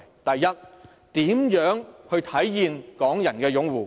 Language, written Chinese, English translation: Cantonese, 第一，如何體現港人擁護？, First how can the support of Hong Kong people be manifested?